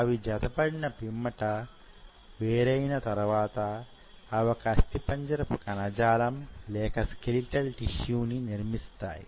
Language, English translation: Telugu, Post division, once they have aligned, they have to make a particular tissue, skeletal tissue